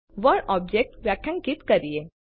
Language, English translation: Gujarati, Let us define the word Object